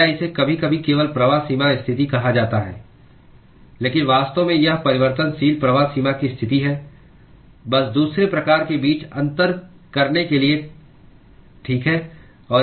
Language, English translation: Hindi, Or it sometimes is simply called as flux boundary condition; but really it is variable flux boundary condition just to distinguish between the second type, okay